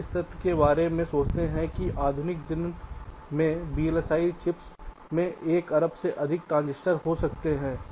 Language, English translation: Hindi, you think of the fact that modern day vlsi chips can contain more than a billion transistors